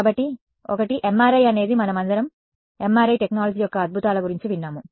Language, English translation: Telugu, So, one is of course, MRI we all have heard of the wonders of MRI technology right